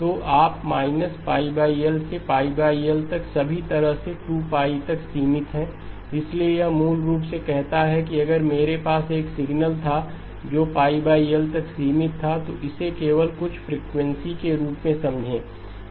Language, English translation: Hindi, So you have limited to minus pi over L to pi over L all the way to 2pi, so this basically says that if I had a signal which was band limited to pi over L, think of it as just some frequency